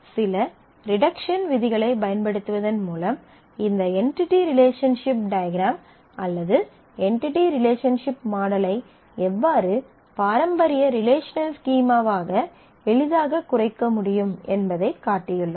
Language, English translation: Tamil, And then we have shown that using certain reduction rules how we can easily reduce this entity relationship diagram or entity relationship model into the traditional relational schema